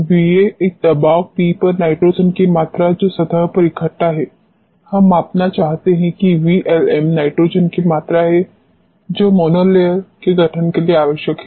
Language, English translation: Hindi, V a is the volume of nitrogen adsorbed at a pressure P, we want to measure V LM is the volume of nitrogen required for mono layer formation